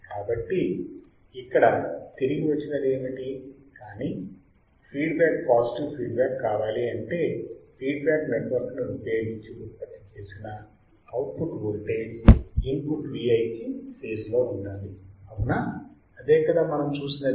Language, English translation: Telugu, So, what is the return here that, but the feedback must be positive that is voltage derived from the output using the feedback network must be in phase with input V i correct that we have seen does